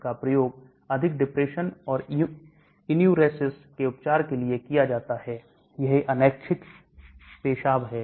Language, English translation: Hindi, This is used for the treatment of major depression and enuresis, that is involuntary urination